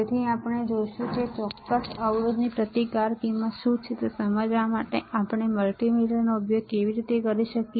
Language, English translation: Gujarati, So, we will see how we can use the multimeter to understand what kind of what is our what is a resistance value of this particular resistors all right